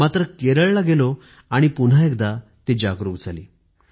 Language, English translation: Marathi, When I went to Kerala, it was rekindled